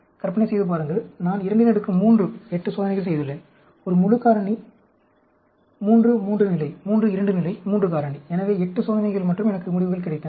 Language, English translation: Tamil, Imagine, I have done 2 raised to the power 3, 8 experiments; a full factorial, 3, 3 level, 3, 2 level, 3 factor, so 8 experiments and I got some results